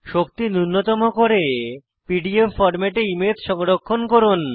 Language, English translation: Bengali, # Do energy minimization and save the image in PDF format